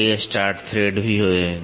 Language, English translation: Hindi, There are also multiple start threads